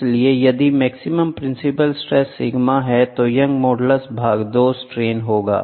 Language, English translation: Hindi, So, if the maximum principal stress sigma maximum is nothing but Young’s modulus by 2 the strains are given